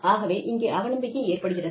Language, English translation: Tamil, So, there is an element of mistrust